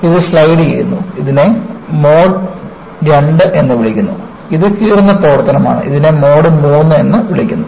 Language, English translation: Malayalam, This is sliding, this is known as mode II and this is a tearing action, this is called as mode III